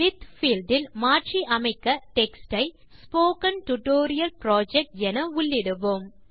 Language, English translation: Tamil, In the With field we type the replaced text as Spoken Tutorial Project